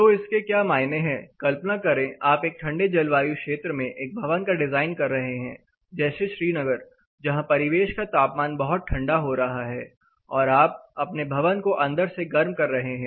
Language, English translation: Hindi, So, how does it matter, imagine you are designing a building in a colder climate, the place like Srinagar where the ambient is getting really close inside your heating the building